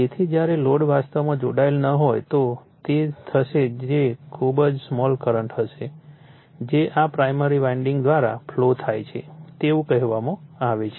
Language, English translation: Gujarati, So, when load is actually not connected so, what will happen is very small current right will flow through this your what you call through this primary side of the winding